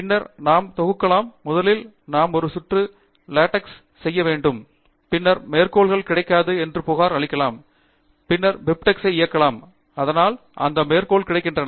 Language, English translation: Tamil, And then the way we compile is, first we should do one round of LaTeX, and then, it will complain perhaps that the citations are not available; and then, we can run BibTeX, so that those citations are available